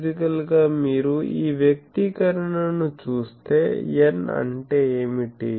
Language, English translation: Telugu, Physically, if you look at this expression what is sorry, what is n